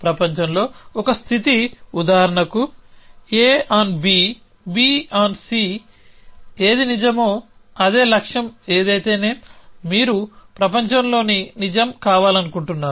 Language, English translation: Telugu, example, what is true in the world on A on B on C whatever likewise goal is what you want to be true in the world essentially